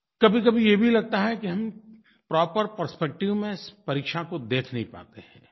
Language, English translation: Hindi, Sometimes it also appears that we are not able to perceive examinations in a proper perspective